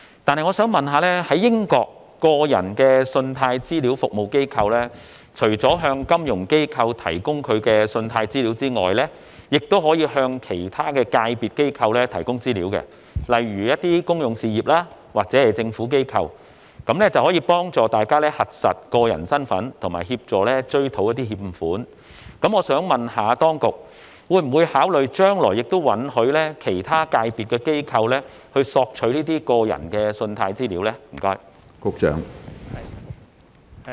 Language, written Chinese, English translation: Cantonese, 鑒於英國的個人信貸資料服務機構除了可向金融機構提供信貸資料外，亦可向其他界別的機構提供資料，以便有關機構核實個人身份及追討欠款。我想詢問，當局會否考慮允許其他界別的機構索取個人信貸資料？, Given that consumer credit reference agencies CRAs in the United Kingdom are allowed to provide credit data to not only financial institutions but also institutions of other sectors to facilitate their verification of personal identity and recovery of default payments may I ask whether the authorities will consider allowing institutions of other sectors to obtain consumer credit data?